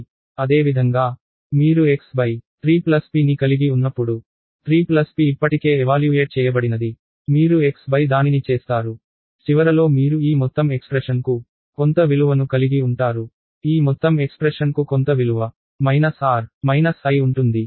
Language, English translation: Telugu, Similarly, when you have x by 3 plus p, 3 plus p is evaluated already is you will do x by that, at the end of it you will have some value for this whole expression, some value for this whole expression minus r minus i